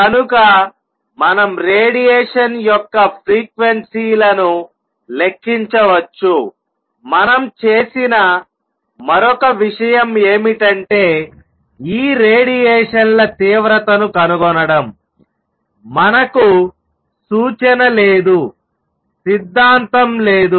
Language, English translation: Telugu, So, we could calculate the frequencies of radiation, the other thing we did was to calculate to find intensities of these radiations, we have no recipe, no theory